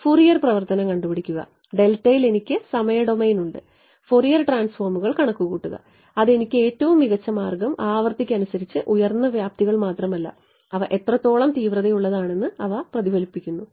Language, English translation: Malayalam, Find out the Fourier transform I have the time domain in the delta calculate the Fourier transforms that is the much smarter way it will give me not just the frequency peaks, but also how resonate they are how sharp they are right